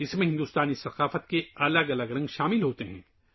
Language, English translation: Urdu, It includes myriad shades of Indian culture